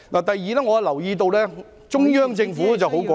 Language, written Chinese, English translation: Cantonese, 第二，我留意到中央政府十分果斷......, Second I notice that the Central Government has very decisively